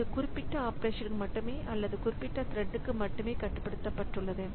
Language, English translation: Tamil, So, it is restricted to that particular operation only or that particular thread only